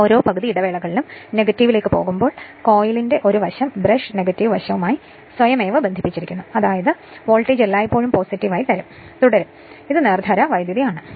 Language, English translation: Malayalam, That means, every half cycle I mean when it is going to the negative that one side of the coil automatically connected to the your what you call nik’s brush right negative side such that your what you call that you are voltage always will remain your in the positive, so DC